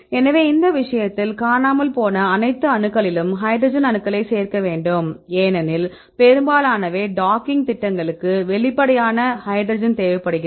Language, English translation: Tamil, So, in this case you have to add the hydrogen atoms right all the missing atoms because most are docking programs require the explicit hydrogen why do you need explicit hydrogen